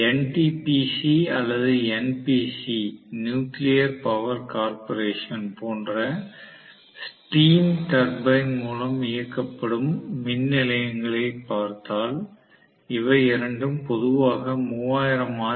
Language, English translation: Tamil, And generally, if we are looking at the stream turbine driven power station like NTPC or NPC – Nuclear Power Corporation and NTPC, both of them generally use the generators which work at 3000 rpm